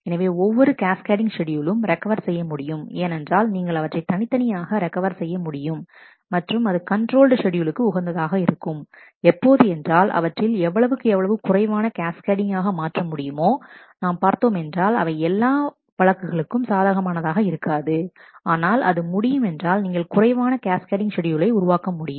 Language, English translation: Tamil, So, every cascadable schedule is also recoverable because, you can individually recover that and it is desirable to restrict schedules to those which are cascade less as far as possible, we will see that in non not all cases that is possible, but if it is possible you would like schedules which are cascade less